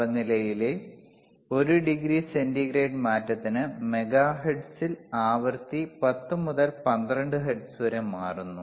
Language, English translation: Malayalam, fFor 1 degree centigrade change in temperature, the frequency changes by 10 to 12 hertz alright in megahertz